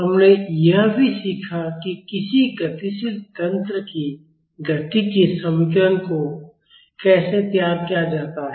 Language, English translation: Hindi, We also learned how to formulate the equation of motion of a dynamic system